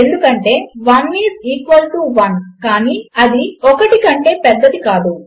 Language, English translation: Telugu, False, because 1 is equal to 1 and not greater than 1